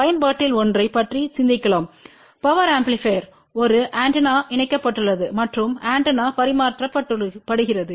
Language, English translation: Tamil, And let us think about one of the application that a power amplifier is connected to an antenna and antenna is transmitting